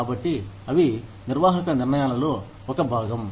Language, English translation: Telugu, So, they form a part of managerial decisions